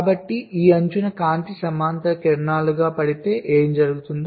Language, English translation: Telugu, if the light falls as parallel rays on this edge